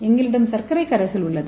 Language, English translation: Tamil, Here you can see here so we have sugar solution